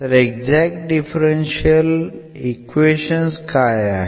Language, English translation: Marathi, So, what are the exact differential equations